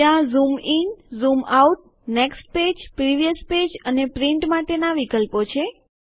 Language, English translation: Gujarati, There are options to Zoom In, Zoom Out, Next page, Previous page and Print